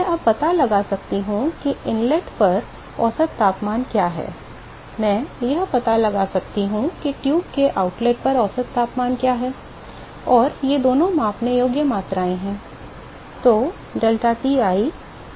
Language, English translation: Hindi, I can now find out what is the average temperature at the inlet, I can find out what is the average temperature at the outlet of the tube and these two are measurable quantities and